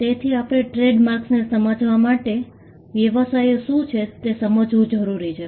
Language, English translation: Gujarati, So, to understand trademarks, we need to understand what businesses are